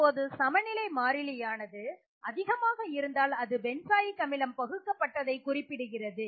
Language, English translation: Tamil, So, greater the value of the equilibrium constant it indicates more of the benzoic acid is dissociated